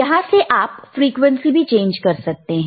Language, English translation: Hindi, Now, you can you can change the frequency here